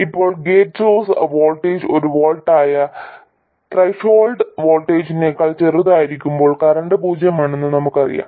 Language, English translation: Malayalam, Now we know that when the gate source voltage is smaller than the threshold voltage which is 1 volt, the current is 0